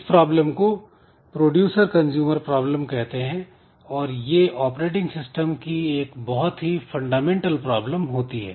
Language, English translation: Hindi, So, this way this producer consumer problem this happens to be one of the very fundamental issues that we have in the operating system